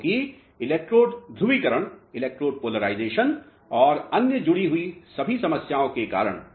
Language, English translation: Hindi, Because of electrode polarization and all other problems which are associated